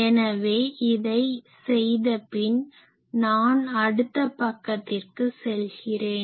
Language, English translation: Tamil, So, if I do this then let me go to the next page